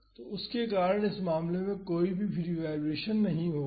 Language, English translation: Hindi, So, because of that there would not be any free vibration